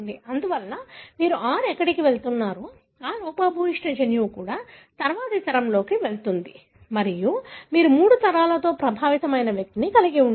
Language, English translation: Telugu, Therefore, wherever you have the 6 going that defective gene also goes in the next generation and you have the individual who is affected in all three generations